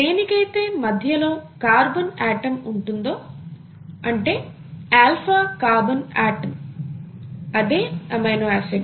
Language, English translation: Telugu, You have the central carbon atom here an alpha carbon atom